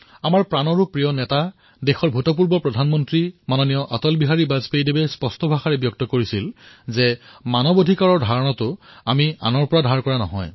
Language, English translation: Assamese, Our most beloved leader, ShriAtalBihari Vajpayee, the former Prime Minister of our country, had clearly said that human rights are not analien concept for us